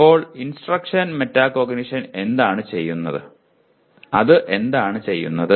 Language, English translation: Malayalam, So what does instruction metacognition, what does it do